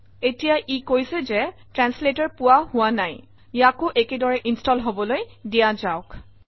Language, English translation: Assamese, Alright, now it says that translator is missing, lets install that as well